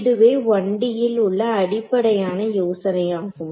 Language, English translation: Tamil, So, this is the basic the same idea here in 1D which I had